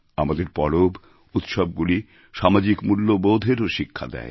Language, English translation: Bengali, Our festivals, impart to us many social values